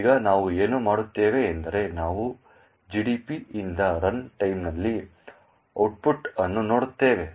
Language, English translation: Kannada, Now what we will do is that we will look the output at runtime from GDB